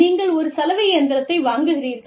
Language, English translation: Tamil, You know, you bought, one washing machine